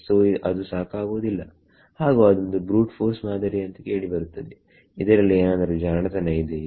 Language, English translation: Kannada, So, that is not enough and anyway that sounds like a brute force approach is there something cleverer